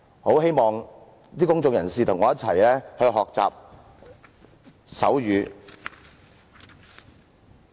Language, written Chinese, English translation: Cantonese, 我希望公眾人士和我一起學習手語。, I hope members of the public can join me in learning sign language